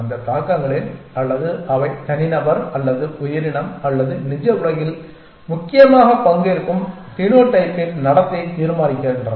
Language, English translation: Tamil, And that in that influences or they decides the behavior of the phenotype which is the individual or the creature or whatever is participating in the real world essentially